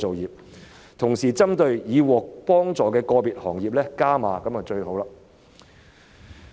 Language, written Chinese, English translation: Cantonese, 如果同時加碼支援已獲得援助的個別行業，這樣就最好了。, It would be most desirable if further support measures could be provided for individual industries that have already received assistance